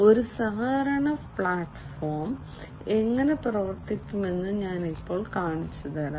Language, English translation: Malayalam, So, let me now show you how this collaboration platform is going to work